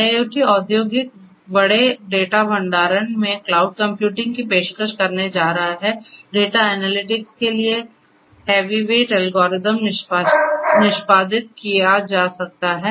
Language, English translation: Hindi, So, cloud computing in IIoT industrial big data storage it is going to offer, heavyweight algorithms for data analytics can be executed